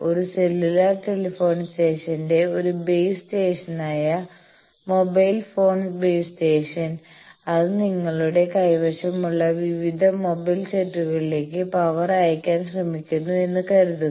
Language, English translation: Malayalam, Suppose a base station of a cellular telephony station that mobile phone base station is trying to send power to various mobile sets that you are having